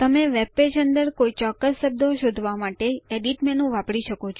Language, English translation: Gujarati, You can use the Edit menu to search for particular words within the webpage